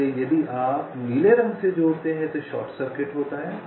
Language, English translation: Hindi, so both, if you connect by blue, there is a short circuit